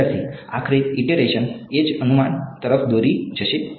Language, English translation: Gujarati, Finally, the iteration will lead to the same guess